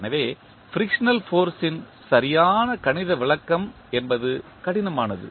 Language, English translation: Tamil, Therefore, the exact mathematical description of the frictional force is difficult